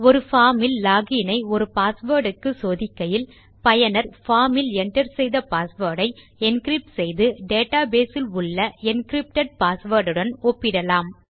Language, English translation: Tamil, If your checking in a log in form for a password, encrypt the password the users entered in the log in form and check that to the encrypted password at the data base